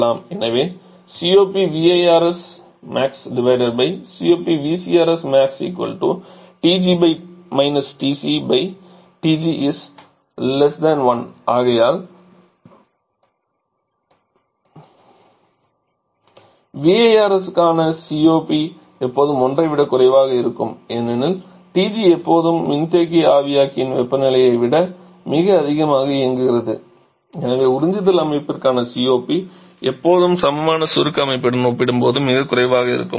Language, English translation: Tamil, Divided by the expression in the COP for the equivalent VCRS we have TG TC upon TG which is always less than 1 and therefore COP for the VRS is always less than 1 because TG always operating temperature much higher than the condenser evaporator temperature and therefore COP for the absorption system always will be much lower compare to the equivalent compression system